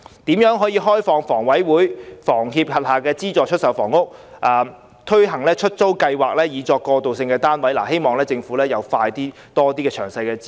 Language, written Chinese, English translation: Cantonese, 就如何開放房委會和房協轄下的資助出售單位，推行出租計劃以作過渡性房屋，我希望政府加快公布更多詳細資料。, As for the means to open up subsidized sale flats under HKHA and HKHS for launching rental scheme as transitional housing I hope that the Government can announce more detailed information expeditiously